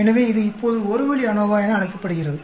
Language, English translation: Tamil, So, this is now called a one way ANOVA